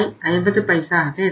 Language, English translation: Tamil, 5 and it is 875